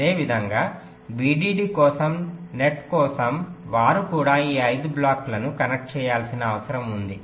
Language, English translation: Telugu, similarly, for the net, for vdd, they also needed to connect this five blocks